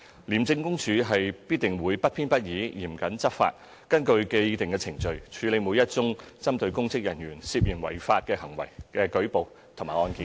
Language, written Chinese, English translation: Cantonese, 廉政公署必定會不偏不倚、嚴謹執法，根據既定程序處理每一宗針對公職人員涉嫌違法行為的舉報和案件。, The Independent Commission Against Corruption will enforce the law impartially and strictly and handle all reports and cases against public officers suspected of committing an illegal act in accordance with the established procedures